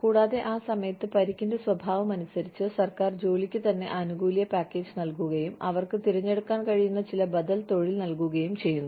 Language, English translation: Malayalam, And, at that time, the government, depending on the nature of injury, the job itself is, you know, the benefits package is such, that they are given, some alternative profession, that they can choose from